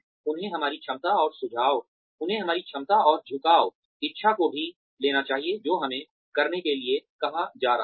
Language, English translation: Hindi, They should also take our ability, and inclination, willingness, to do what we are being asked to do